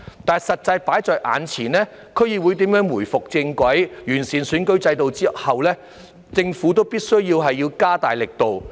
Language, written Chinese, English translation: Cantonese, 但是，實際放在眼前的是，對於區議會如何回復正軌，完善選舉制度之後政府必須加大力度。, However under the current circumstances the Government must step up its effort to put DCs back on the right track after improving the electoral system